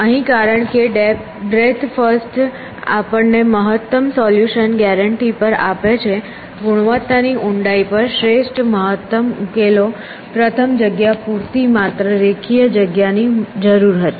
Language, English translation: Gujarati, In here because breath first gave us on optimum solution guaranty the optimum solution good on quality depth first was space sufficient requires only linear space